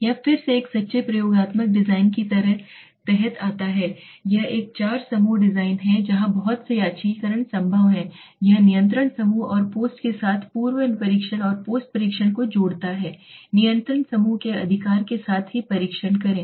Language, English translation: Hindi, This is this is again a comes under a true experimental design this is a four group design where lot of randomization is possible it combines pre test and post test with control group and the post test only with the control group right